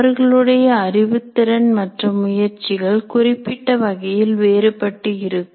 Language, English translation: Tamil, However, their cognitive abilities and motivations can considerably vary